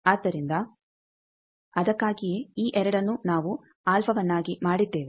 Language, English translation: Kannada, So, that is why these 2 we have made alpha